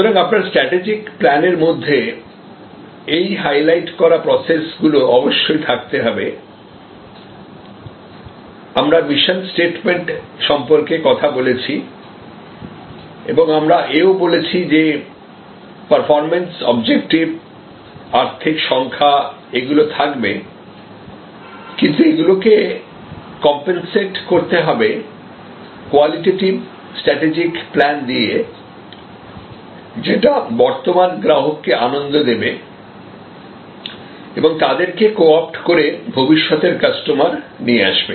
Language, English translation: Bengali, So, your strategy plan must clearly provide for those processes, these highlighted processes and we talked about mission statement and we also said, that there has to be performance objectives, financial numbers, but that must be compensated with qualitative strategic plans for enhancing the delight of the current customers and co opting them for future customers